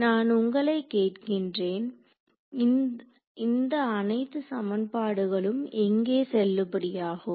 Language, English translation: Tamil, So, if I ask you: where all is this equation valid